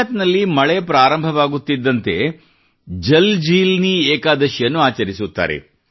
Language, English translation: Kannada, For example, when it starts raining in Gujarat, JalJeelani Ekadashi is celebrated there